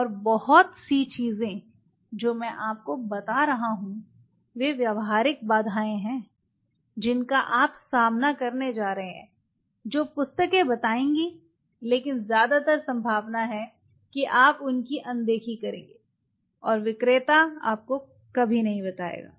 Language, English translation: Hindi, And much of the things what I am telling you are the practical hurdles you are going to face which the books we will tell, but you will over look most likelihood and the seller will never tell you